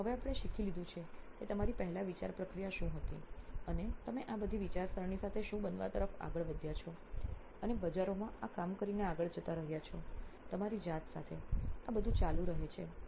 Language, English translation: Gujarati, So now we have learnt a whole bunch of what you’re thinking process earlier was and what you moved on to becoming with all these thinking and doing and going back and forth in this with the market, with yourselves all this goes on